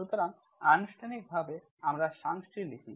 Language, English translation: Bengali, So formally we write the definition